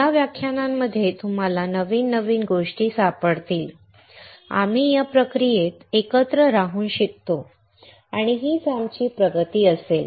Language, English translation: Marathi, You will find new things in those lectures and while we stay together in this process, we learn and that will be our progress